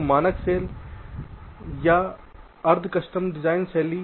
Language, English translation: Hindi, so standard cell or semi custom design style